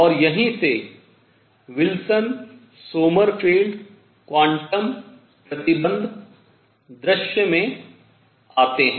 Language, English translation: Hindi, And that is where Wilson Sommerfeld quantum conditions come into the picture